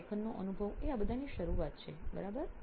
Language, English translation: Gujarati, So writing experience is the start of all of this, right